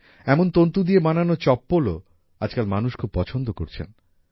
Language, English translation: Bengali, Chappals made of this fiber are also being liked a lot today